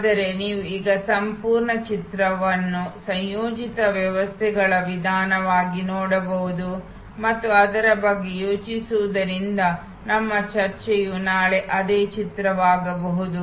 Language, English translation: Kannada, But, you can now look at this whole picture as a composite systems approach and think about it will start our discussion could the same picture tomorrow